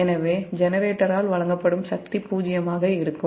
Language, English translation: Tamil, so power delivered by the generator will be zero then that